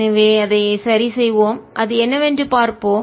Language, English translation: Tamil, so let's just work it out and see what it comes out to be